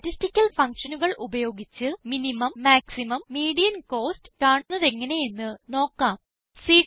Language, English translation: Malayalam, Lets see how to find the minimum, the maximum and the median costs, using statistical functions